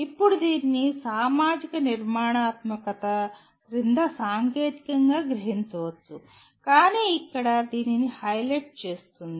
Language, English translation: Telugu, Now this can be technically absorbed under social constructivism but here it highlights this